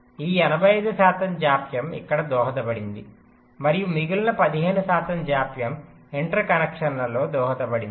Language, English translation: Telugu, eighty five percent of delay was contributed here and the rest fifteen percent delay was contributed in the interconnections